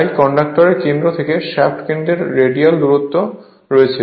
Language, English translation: Bengali, Therefore there is the radial distance from the centre of the conductor to the centre of the shaft